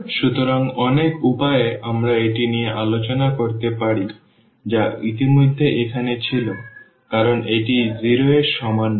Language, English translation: Bengali, So, in many ways we can discuss this the one was already here that because this is not equal to 0